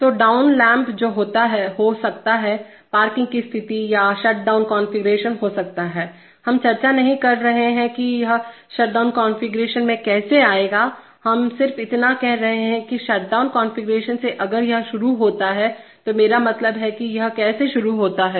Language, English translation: Hindi, So the down lamp that may be the, may be the parking position or the shutdown configuration, we are not discussing how it will come to the shutdown configuration, we are just saying that from the shutdown configuration if it starts, I mean how does it start